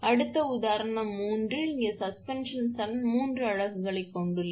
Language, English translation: Tamil, Next one, so example 3, here that is suspension string has three units right